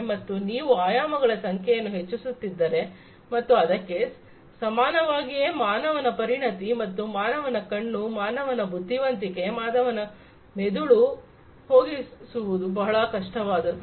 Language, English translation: Kannada, So, if you are increasing the number of dimensions and doing something very similar using the human expertise and human eye, human intelligence, human brain, that is difficult